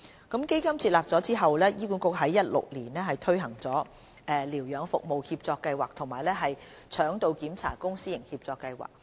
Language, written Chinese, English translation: Cantonese, 基金設立後，醫管局已在2016年推行療養服務協作計劃及腸道檢查公私營協作計劃。, HA has also launched the Provision of Infirmary Service through PPP and the Colon Assessment PPP Programme since 2016 following the establishment of the endowment fund